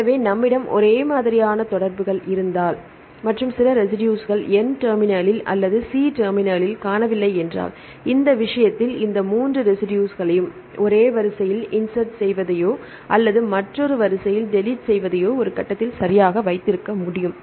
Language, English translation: Tamil, So, if we have the homologous sequences and some residues are missing at the N terminal or the C terminal, in this case, we can keep these 3 residues right either insertion in one sequence or the deletion in the other sequence right at one phase